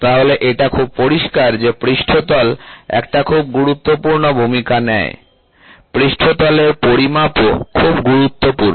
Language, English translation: Bengali, So, now, it is very clear that surface plays a very important role, the surface measuring is also very important